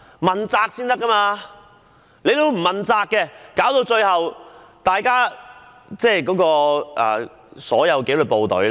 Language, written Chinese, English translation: Cantonese, 現在講求問責，否則最終只會影響所有紀律部隊的形象。, Accountability is the order of the day now otherwise the image of all disciplined services will eventually be tarnished